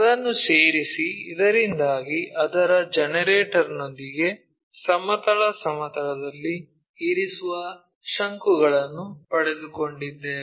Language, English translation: Kannada, Join that, so that we got a cone resting with its generator on the horizontal plane